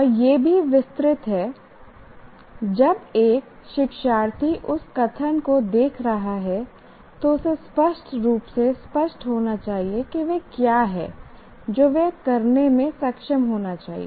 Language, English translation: Hindi, That means when a learner is looking at that statement, it should be clear to him exactly what he is that he should be able to do